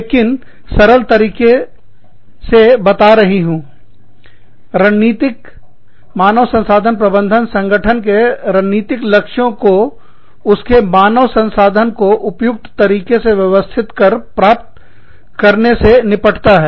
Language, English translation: Hindi, But, very simply stating, strategic human resource management deals with, the achievement of the strategic objectives of an organization, by managing its human resources, in the most appropriate manner